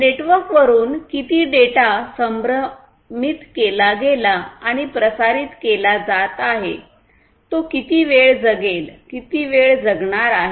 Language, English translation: Marathi, How much the data that has been sensed and is being circulated through the network, how much time it is going to survive, how much time it is going to live